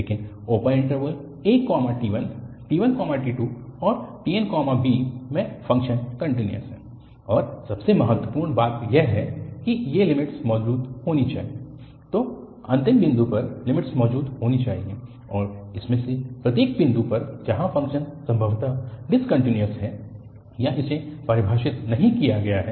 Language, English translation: Hindi, But, in the open interval a to t1, t1 to t2 and tn to b, the function is continuous and most importantly, these limits should exist, so at the end point, the limit should exist and also at each of these points where the function is possibly discontinuous or it is not defined